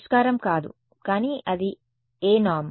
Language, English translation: Telugu, Non solution, but which norm was that